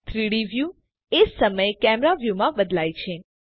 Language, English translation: Gujarati, The 3D view switches to the camera view at the same time